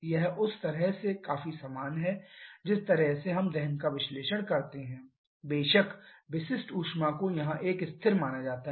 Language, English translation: Hindi, This is quite similar to the way we do the combustion analysis of course specific heat is considered as a constant here